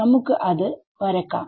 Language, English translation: Malayalam, So, let us draw that